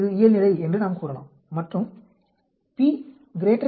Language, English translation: Tamil, We can tell it is normal and if the p value is greater than 0